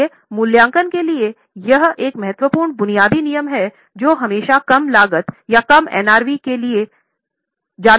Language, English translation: Hindi, Okay, so this was one important basic rule for valuation that always go for lower of cost or NRV